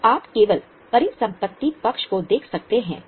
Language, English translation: Hindi, So, you can just look at the asset side